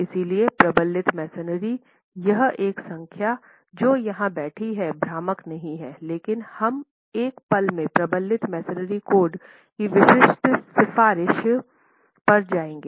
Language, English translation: Hindi, So reinforced masonry, this one number sitting here is not misleading but we will go to the specific recommendation of the reinforced masonry code